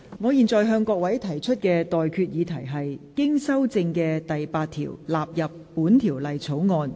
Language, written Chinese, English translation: Cantonese, 我現在向各位提出的待決議題是：經修正的附表納入本條例草案。, I now put the question to you and that is That the Schedule as amended stand part of the Bill